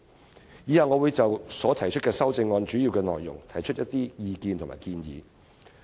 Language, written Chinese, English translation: Cantonese, 我以下會就我所提出的修正案的主要內容提出意見和建議。, In the following part of my speech I will put forth my views on the main contents of my amendments and the proposals therein